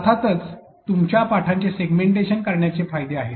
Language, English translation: Marathi, There are of course, advantages to using segmenting your lessons